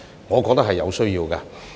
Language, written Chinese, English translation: Cantonese, 我認為這是有需要的。, I think there is a need to do so